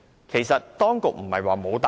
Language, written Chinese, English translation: Cantonese, 其實當局曾作出答覆。, The authorities have indeed provided a reply